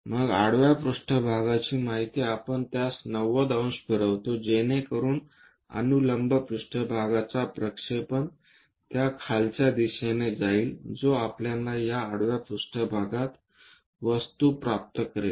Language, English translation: Marathi, Then, this horizontal plane information we rotate it 90 degrees, so that a vertical plane projection on to that downward direction which gives us this horizontal plane object we will get